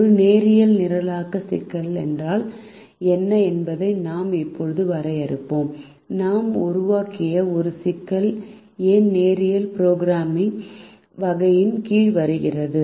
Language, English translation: Tamil, we will now go on to define what is a linear programming problem, and y this problem that we have formulated comes under the category of linear programming